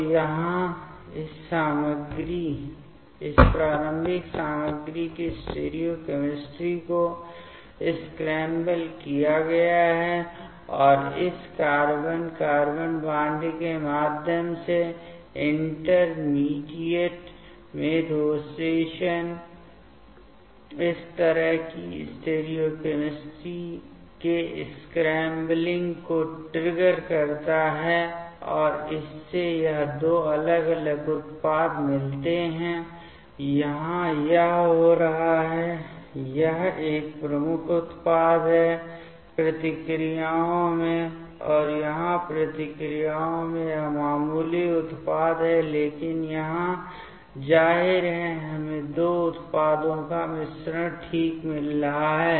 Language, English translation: Hindi, So, here streochemistry of this starting material has been scrambled, and the rotation in the intermediate through this carbon carbon bond triggers this kind of scrambling of the stereochemistry here and that gives this two different products, here it is happening this one is major product in the reactions and here it is the minor product in the reactions, but here; obviously, we are getting the mixture of two products ok